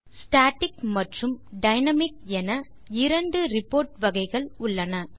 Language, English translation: Tamil, There are two categories of reports static and dynamic